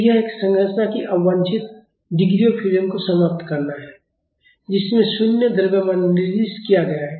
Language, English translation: Hindi, So, that is to eliminate the unwanted degrees of freedom of a structure in which zero mass is assigned